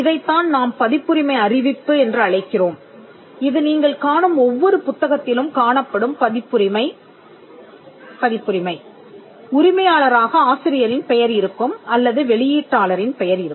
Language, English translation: Tamil, Now this is what we call a copyright notice which you will find in almost every book that you would come across, either there is the name of the author as the copyright owner or you will find the name of the publisher as the copyright owner